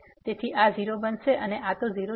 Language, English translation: Gujarati, So, this will become 0 and this is 0